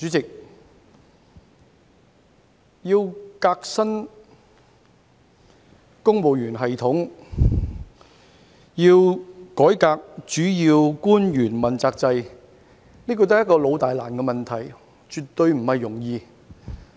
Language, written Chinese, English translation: Cantonese, 主席，革新公務員系統、改革主要官員問責制是一個老大難的問題，絕對不是容易的事。, President innovating the civil service system and reforming the accountability system for principal officials is a major tough and long - standing issue which is definitely no easy feat to tackle